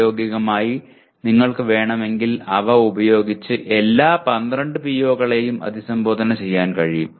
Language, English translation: Malayalam, You can practically, if you want you can make them address all the 12 POs in that